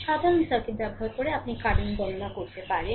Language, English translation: Bengali, Using the simple circuit, you can calculate the current